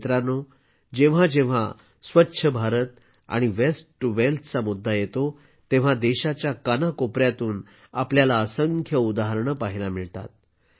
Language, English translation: Marathi, Friends, whenever it comes to Swachh Bharat and 'Waste To Wealth', we see countless examples from every corner of the country